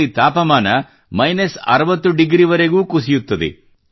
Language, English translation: Kannada, The temperature here dips to even minus 60 degrees